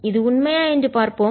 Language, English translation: Tamil, let us see this is true